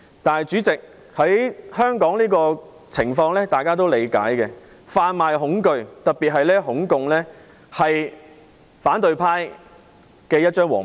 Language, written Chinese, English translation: Cantonese, 但是，主席，大家也理解香港的情況，販賣恐懼、特別是"恐共"情緒是反對派的一張王牌。, However President we also understand the current situation of Hong Kong . Spreading fear particularly communism phobia is a trump card of the opposition camp